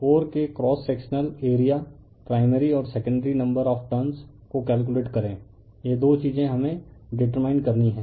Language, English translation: Hindi, Calculate the number of primary and secondary turns, cross sectional area of the core, right this two things we have to determine